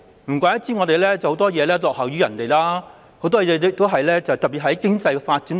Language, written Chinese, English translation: Cantonese, 難怪香港在很多方面都落於人後，特別是經濟發展方面。, No wonder Hong Kong is lagging behind other places in multiple aspects especially economic development